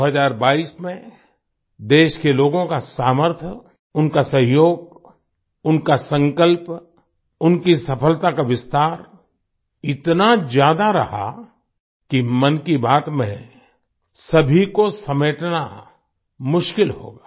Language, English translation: Hindi, In 2022, the strength of the people of the country, their cooperation, their resolve, their expansion of success was of such magnitude that it would be difficult to include all of those in 'Mann Ki Baat'